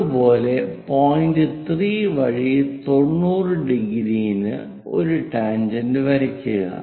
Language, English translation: Malayalam, Similarly, 8 point 3 draw a tangent which is at 90 degrees